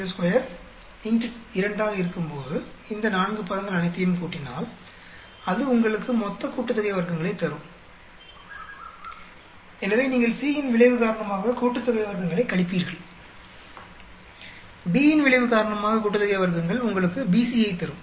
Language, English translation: Tamil, 45 square multiply by 2, then you add up all these 4 terms together that will give you total sum of squares, so you subtract sum of squares due to effect C, sum of squares due to effect B that should give you BC